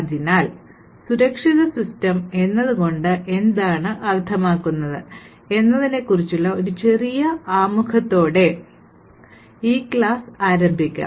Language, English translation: Malayalam, So, let us start this particular class with a small introduction about what we mean by Security Systems